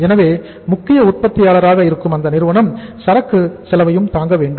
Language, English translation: Tamil, So in that case the company the main manufacturer they will have to bear the inventory cost also